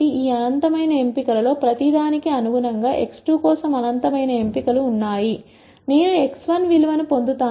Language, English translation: Telugu, There are in nite choices for x 2 corresponding to each one of these infinite choices, I will get a value of x 1